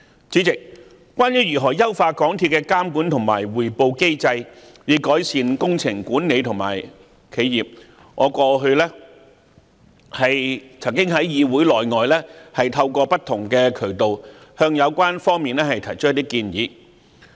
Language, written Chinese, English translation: Cantonese, 主席，關於如何優化港鐵公司的監管和匯報機制，以改善工程管理和企業，我過去在議會內外曾透過不同渠道向有關方面提出一些建議。, President with regard to the issue of how we should strengthen the supervision control and reporting systems of MTRCL to improve its works supervision and governance I have in fact put forward some proposals previously to the authorities concerned through different channels both inside and outside this Council